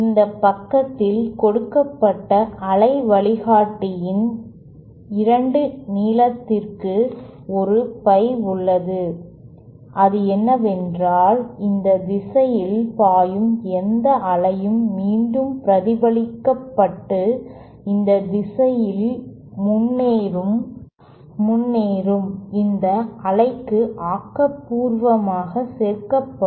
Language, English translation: Tamil, And on this side, there is a pie by 2 length of the waveguide given, what it does is that any wave that flows along this direction will be reflected back and added constructively to this wave that is proceeding along this direction